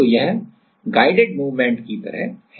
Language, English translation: Hindi, So, this is like guided movement